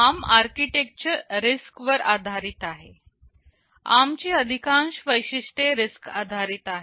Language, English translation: Marathi, Now, ARM is based on the RISC philosophy of architectures, most of the ARM features are RISC based